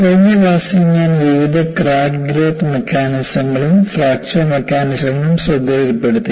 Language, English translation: Malayalam, In the last class, I have listed various crack growth mechanisms and also fracture mechanisms